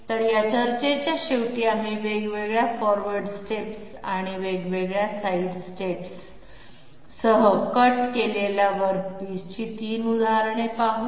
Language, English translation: Marathi, So at the end of this discussion, we come to 3 examples of jobs which have been cut with different forward steps and different side steps